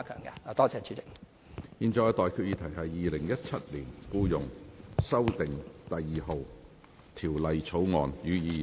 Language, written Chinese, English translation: Cantonese, 我現在向各位提出的待決議題是：《2017年僱傭條例草案》，予以二讀。, I now put the question to you and that is That the Employment Amendment No . 2 Bill 2017 be read the Second time